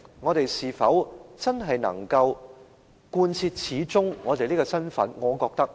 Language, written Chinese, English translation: Cantonese, 我們是否真的能夠把這個身份貫徹下去呢？, Can we really live up to the expectations of the community for this identity of ours?